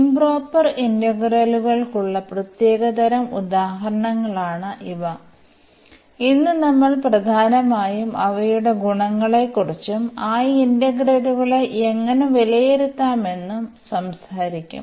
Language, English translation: Malayalam, So, these are the special type of examples for improper integrals and today we will be talking about mainly their properties and how to evaluate those integrals